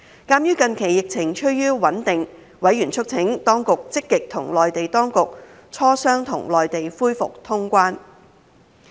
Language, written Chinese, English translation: Cantonese, 鑒於近期疫情趨於穩定，委員促請當局積極與內地當局磋商，與內地恢復通關。, Given that the epidemic situation has been becoming stable recently members urged the Administration to proactively discuss the feasibility of reopening the border with the Mainland authorities